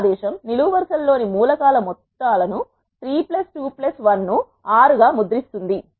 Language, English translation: Telugu, This command will prints the sums of the elements in the columns as 3 plus 2 plus 1 is 6 and so on